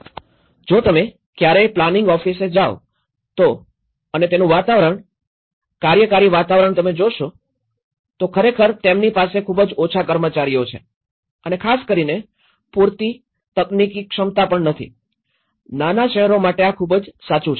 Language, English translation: Gujarati, If you ever happened to go a planning office and if you look at the atmosphere, the working atmosphere, it’s really they have a very less adequate staff and also not having an adequate technical capacity especially, this is very true in the smaller towns